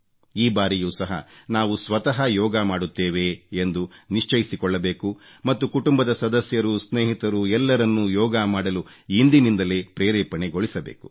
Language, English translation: Kannada, This time too, we need to ensure that we do yoga ourselves and motivate our family, friends and all others from now itself to do yoga